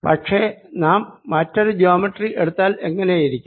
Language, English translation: Malayalam, but what if i take a different geometry